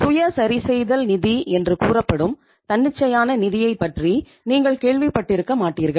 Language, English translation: Tamil, You must not have heard about the spontaneous finance which is called as self adjusting source of finance